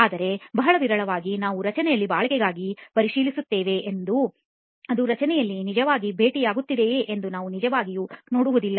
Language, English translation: Kannada, But very rarely we actually check for durability in the structure, we do not really see whether it is actually being met with in the structure, right